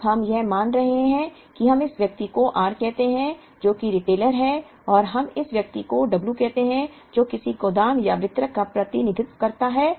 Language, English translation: Hindi, Now, what we are assuming is that we call this person as r which is the retailer and we call this person as w which could represent a warehouse or a distributor